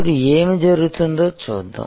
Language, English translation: Telugu, Now, let us see what is happening